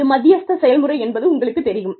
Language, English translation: Tamil, So, this is the mediation process